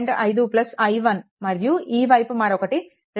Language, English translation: Telugu, 5 plus i 1, and this side is 2